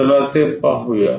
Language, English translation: Marathi, Let us look at that